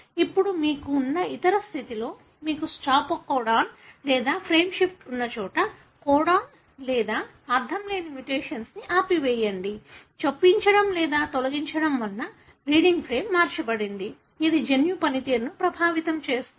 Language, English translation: Telugu, Now in other condition, wherein you have, know, stop codon or nonsense mutation wherein you have introduced a stop codon or there is a frameshift, where reading frame has been altered, because of insertion or deletion, can affect the gene function